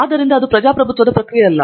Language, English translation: Kannada, So, it is not a democratic process